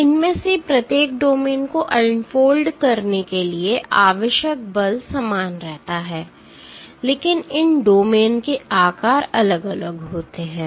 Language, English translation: Hindi, The force required to unfold each of these domains remains the same, but the sizes of these domains are varying